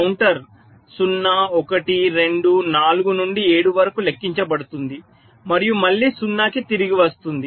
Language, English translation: Telugu, so the counter will count from zero, one, two, four, up to seven, then again back to zero